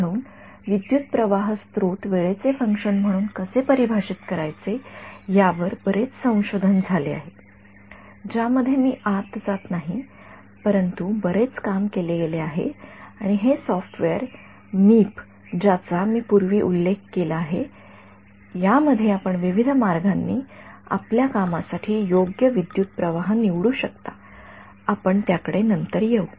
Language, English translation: Marathi, So, there is a lot of research that has been done into how to define the current source as a function of time which I am not going into, but a lot of work has been done and this software which I have mentioned to you earlier Meep as many different ways in which you can choose the current source best suited for your application we will come to it later